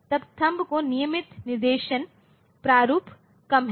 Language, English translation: Hindi, Then THUMB has less regular instruction format